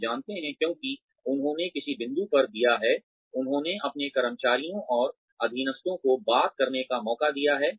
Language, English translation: Hindi, They know, because, they have given at some point, they have decided to give their employees and subordinates, a chance to talk